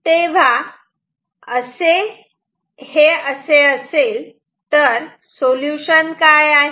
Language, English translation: Marathi, So, what will be the solution